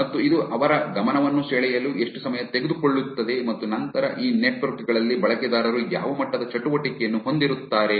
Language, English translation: Kannada, And how much time this it get take to get their attention and then what are the level of activity do users have on these networks